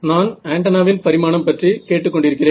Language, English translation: Tamil, Dimension of antenna is what I am asking here